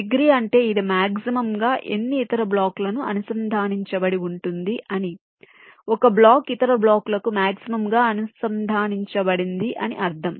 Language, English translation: Telugu, degree means it is connected to maximum other blocks, the block which is maximally connected to other blocks